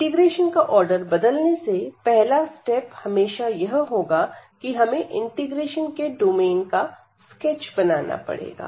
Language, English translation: Hindi, So, if you change the order of integration the first step is going to be always that we have to the sketch the domain of integration